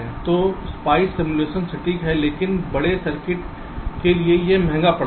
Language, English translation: Hindi, so spice simulation is accurate but too expensive for larger circuits